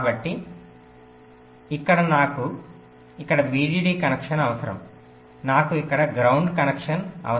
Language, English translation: Telugu, so here i require a vdd connection, here i require a ground connection here